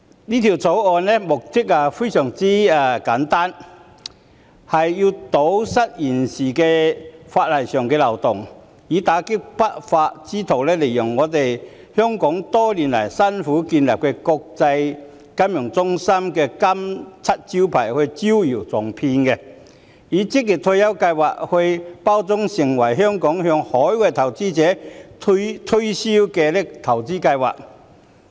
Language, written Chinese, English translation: Cantonese, 《條例草案》的目的非常簡單，是為了堵塞現時法例上的漏洞，以打擊不法之徒利用香港多年來辛苦建立的國際金融中心這個金漆招牌招搖撞騙，把職業退休計劃包裝成香港向海外投資者推銷的投資計劃。, The aim of the Bill is very simple . It is to plug the loopholes in the existing legislation in order to combat lawbreakers exploiting Hong Kongs hard - earned reputation as an international financial centre to cheat people by repackaging OR Schemes as investment schemes being promoted by Hong Kong to overseas investors